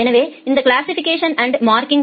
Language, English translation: Tamil, Then we do something called a classification and marking